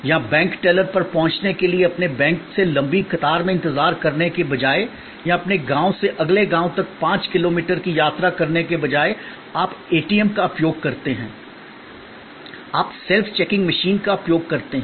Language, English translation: Hindi, Or, instead of waiting at a long queue at a bank or instead of traveling five kilometers from your village to the next village for accessing the bank teller, you use an ATM, you use the self checking machine